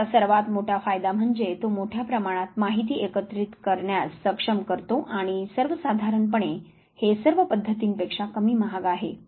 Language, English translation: Marathi, The biggest advantage is that it enables the large amount data to be gathered and by and large it is now least expensive of all the methods usually